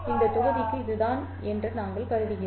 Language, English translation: Tamil, We will assume that this is the case for this module